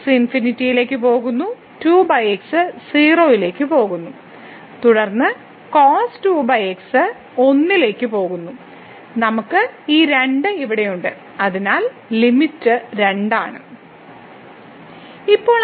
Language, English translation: Malayalam, So, goes to infinity over goes to 0 and then goes to and we have this here so, the limit is